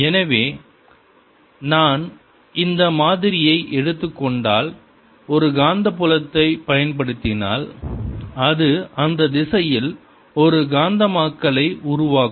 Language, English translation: Tamil, so if i take this sample, apply a magnetic field, it'll develop a magnetization in that direction